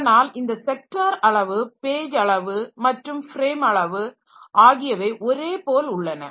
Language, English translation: Tamil, So, this sector size, page size and frame size they are all same